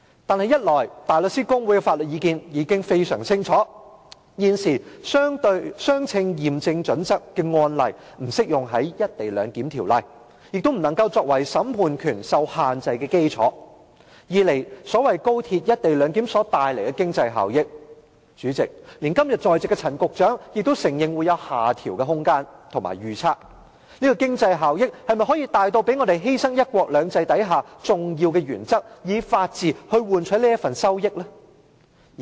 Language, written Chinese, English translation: Cantonese, 可是，一來香港大律師公會的法律意見已非常清晰，現時"相稱驗證準則"的案例不適用於《條例草案》，亦不能作為審判權受限制的基礎；二來所謂高鐵"一地兩檢"所帶來的經濟效益，連今天在席的陳局長也承認會有下調的空間和預測，這經濟效益是否大至要讓我們犧牲"一國兩制"下的重要原則，以法治來換取這份利益？, However first the Hong Kong Bar Association has very clearly pointed out that the current case law of proportionality test does not apply to the Bill; neither can it serve as the legal basis for restricting the courts jurisdiction; and second Secretary Frank CHAN who is present today has also admitted that there is room for downward adjustment of the so - called economic benefits brought by the co - location arrangement of XRL . Are the economic benefits huge enough for us to sacrifice the important principles under one country two systems and the rule of law?